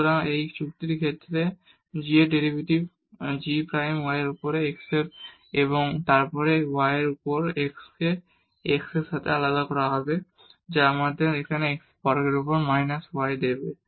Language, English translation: Bengali, So, the derivative of g with respect to its argument g prime y over x and then here the y over x will be differentiated with respect to x that will give us here minus y over x square